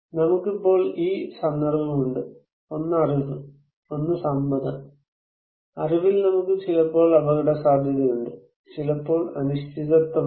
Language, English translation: Malayalam, So, we have this context one is the knowledge, one is the consent; in knowledge, we have risk sometimes certain, sometimes uncertain